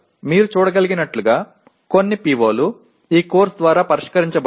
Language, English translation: Telugu, So as you can see some of the POs are not addressed by this course